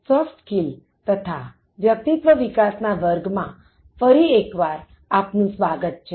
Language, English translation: Gujarati, Welcome back to my course on Enhancing Soft Skills and Personality